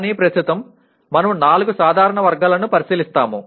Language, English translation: Telugu, But right now, we will look at the four general categories